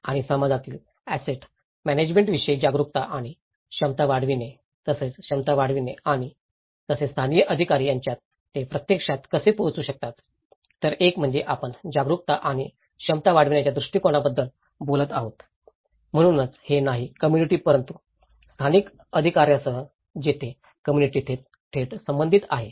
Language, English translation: Marathi, And how they can actually able to approach certain livelihood aspect, generating awareness and capacity building regarding asset management in the community as well as local authorities, so one is, we are talking about the awareness and capacity building approach, so it is not only with the community but also with the local authorities where the community is directly relevant